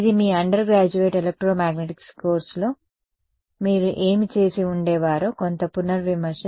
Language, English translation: Telugu, This is a bit of a revision of what you would have done in the your undergraduate electromagnetics course